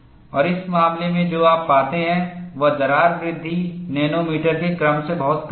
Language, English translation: Hindi, And in this case, what you find is, the crack growth is extremely small, of the order of nanometers